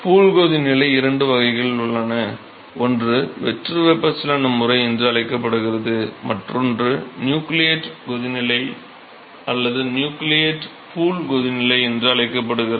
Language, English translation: Tamil, So, in pool boiling there are two types: one is called the free convection mode the other one is called the nucleate boiling nucleate pool boiling